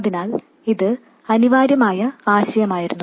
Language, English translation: Malayalam, So, this was the essential idea